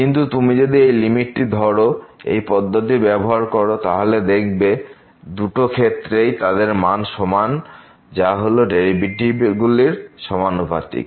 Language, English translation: Bengali, But if you take this limit and this rule says that this limit, this limiting value is equal to this limiting value which is the ratio of the derivatives